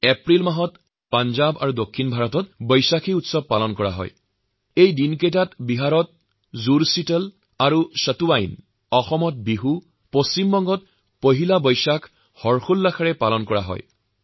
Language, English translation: Assamese, Vaisakhi will be celebrated in Punjab and in parts of western India in April; simultaneously, the twin festive connects of Jud Sheetal and Satuwain in Bihar, and Poila Vaisakh in West Bengal will envelop everyone with joy and delight